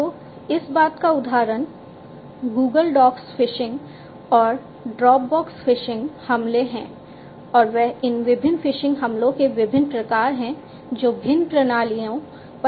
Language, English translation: Hindi, So, example of this thing is Google docs phishing and Dropbox phishing attacks and they are like these different types of other phishing attacks that are possible on different systems